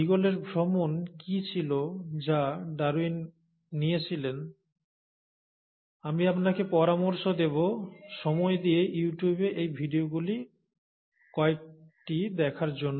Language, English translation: Bengali, What was the voyage of Beagle which was taken by Darwin, I would recommend that you take your time out and go through some of these videos on You tube